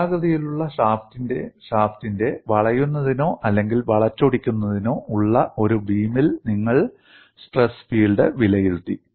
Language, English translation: Malayalam, You have evaluated stress field in a beam under pure bending or torsion of a circular shaft